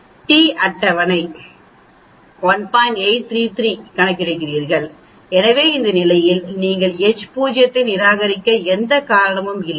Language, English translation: Tamil, So t calculated is less than the t table so there is no reason for you to reject h naught at this condition